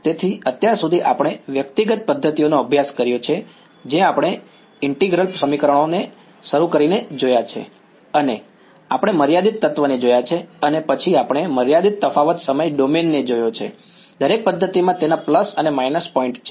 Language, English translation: Gujarati, So, far we have studied individual methods we have looked at we started with integral equations and we looked at finite element then we looked at finite difference time domain right each method has their plus and minus points